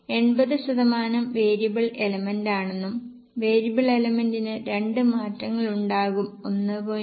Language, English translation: Malayalam, You can see 80% is a variable element and for the variable element there will be two changes